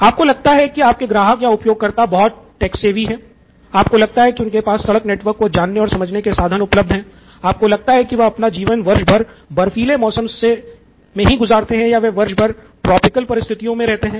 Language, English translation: Hindi, You think they are very text savvy, you think they have access to road network around them, you think they have icy weather year round or you think they have tropical conditions year round